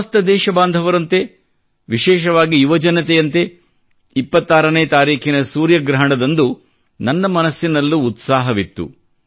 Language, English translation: Kannada, Like my countrymen, especially the youth among them, I too was eager to watch the solar eclipse on the 26th of December